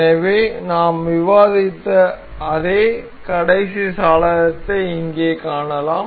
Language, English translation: Tamil, So, the same last window that we are we were discussing can can be seen here